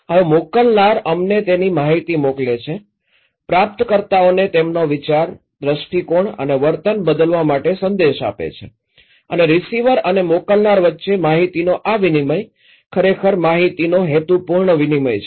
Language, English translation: Gujarati, Now sender send us their, send informations, message to the receivers in order to change their mind, their perception and their behaviour and this exchange of informations between receiver and senders is actually a purposeful exchange of information